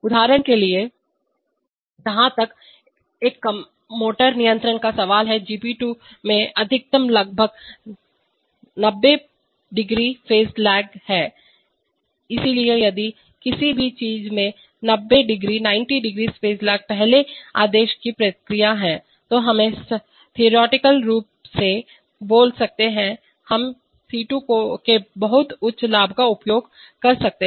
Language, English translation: Hindi, For example, as far as our motor control is concerned GP2 has maximum has around 90˚ phase lag, so if something has a 90˚ phase lag is a first order process then we can, theoretically speaking, we can use very high gains of C2